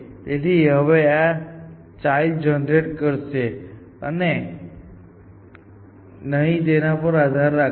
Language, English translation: Gujarati, So, it will generate these children now, and depending on whether they are